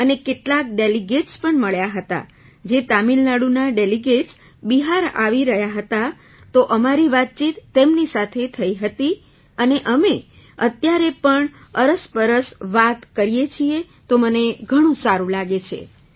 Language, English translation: Gujarati, And I also met some delegates who were coming to Bihar from Tamil Nadu, so we had a conversation with them as well and we still talk to each other, so I feel very happy